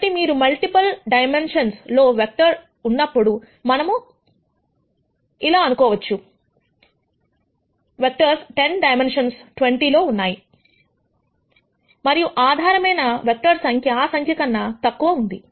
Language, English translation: Telugu, So, when you have vectors in multiple dimensions, let us say you have vectors in 10 di mensions 20 dimensions and the number of basis vectors, are much lower than those numbers